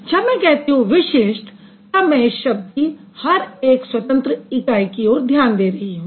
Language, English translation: Hindi, So, when I say distinctive, I am focusing on each independent unit of this word